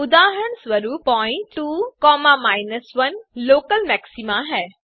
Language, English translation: Hindi, For example the point (2, 1) is the local maxima